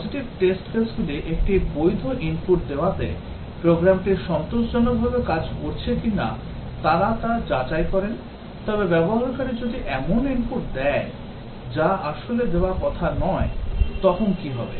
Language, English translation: Bengali, Positive test cases, they check that given a valid input, whether the program is working satisfactorily, but what if, the user gives input which is not really intended to be given